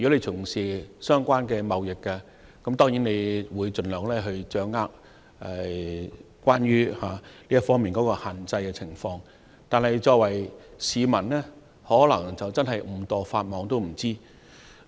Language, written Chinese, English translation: Cantonese, 從事相關貿易的業內人士，當然會掌握有關這項限制的詳情，但一般市民可能在不知情的情況下誤墮法網。, Members of the trade engaging in the relevant trade should certainly grasp the details of the restriction . However the general public who do not know about the restriction may break the law inadvertently